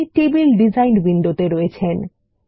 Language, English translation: Bengali, Now we are in the table design window